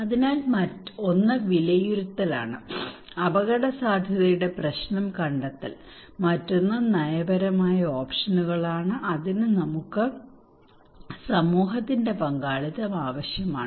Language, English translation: Malayalam, So one is the assessment, finding the problem of the risk; another one is the policy options, for that we need community participation